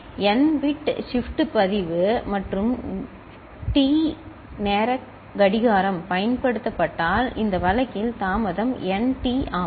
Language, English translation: Tamil, If n bit shift register and clock of T time period is used, then nT is this delay in this case